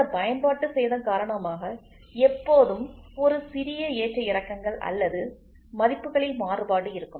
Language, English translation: Tamil, Because of this wear and tear there is always a small fluctuation or variation in the values